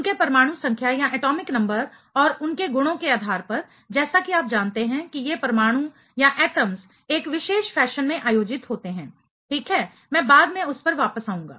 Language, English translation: Hindi, Based on their atomic number and their properties as you know these atoms are organized in a particular fashion ok, I will come back to that later